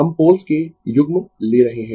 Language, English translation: Hindi, We are taking pair of poles